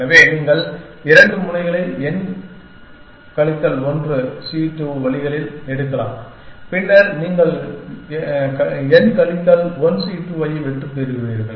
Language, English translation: Tamil, So, you can pick two edges in n minus 1 c 2 ways and then you will get n minus 1 c 2 successes